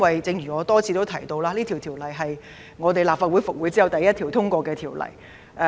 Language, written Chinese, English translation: Cantonese, 正如我已多次提到，《條例草案》是立法會復會後首項通過的法案。, As I have repeatedly pointed out this Bill is the first bill to be passed after the resumption of the Legislative Council